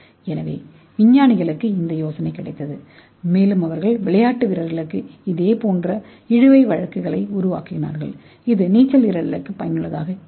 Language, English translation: Tamil, So the scientist got the idea and they made similar kind of drag suits for the athletes, so this will be useful for the swimmers